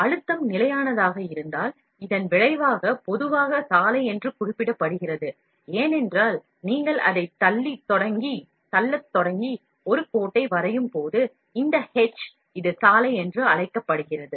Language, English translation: Tamil, If the pressure remains constant, then the resulting extrusion material commonly referred as road, because when you start pushing it, and draw a line, this h, this is called the road, we will flow at a constant rate